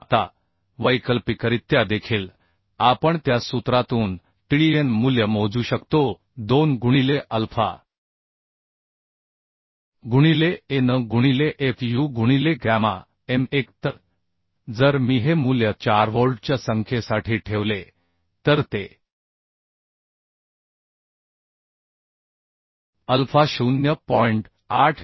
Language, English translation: Marathi, 32 kilonewton right So Tdn value we can calculate Now alternatively we can also calculate Tdn value from that formula 2 into alpha into An into fu by gamma m1 so if I put this value for four number of bolts it will alpha will be 0